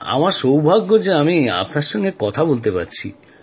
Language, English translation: Bengali, I am lucky to be talking to you